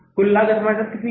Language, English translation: Hindi, Cost of production is how much